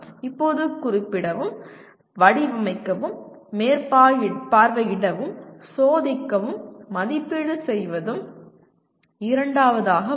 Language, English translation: Tamil, Now second one, specify, design, supervise, test, and evaluate